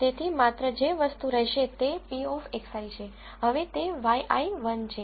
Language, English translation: Gujarati, So, the only thing that will remain is p of x i now y i is 1